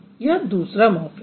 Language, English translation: Hindi, There is one morphem